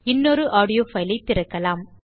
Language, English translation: Tamil, Now, lets open another audio file